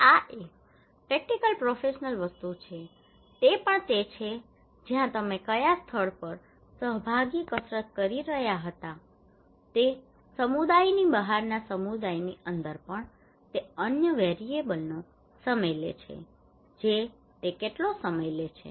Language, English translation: Gujarati, This is a practical professional things also it is where which place you were conducting participatory exercise is it inside the community outside the community also it time another variable that how long it takes